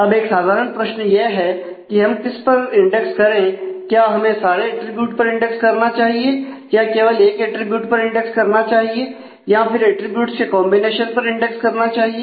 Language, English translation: Hindi, Now, if we I mean why what should we index on the basic question is should we index on all attributes should we index on one attribute should we index on combination of attributes